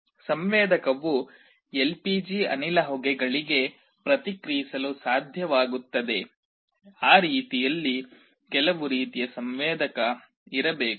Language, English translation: Kannada, The sensor should be able to respond to LPG gas fumes, there has to be some kind of a sensor in that way